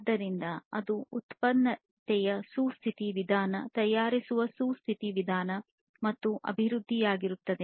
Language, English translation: Kannada, So, that will be a sustainable method of manufacturing, sustainable method of production or development